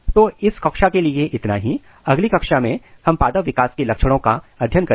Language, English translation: Hindi, So, this is all for this class in next class we will discuss about characteristic of plant development